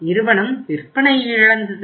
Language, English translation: Tamil, Company lost the sale